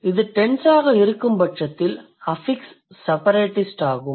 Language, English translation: Tamil, If it is tense, then the affix is separatist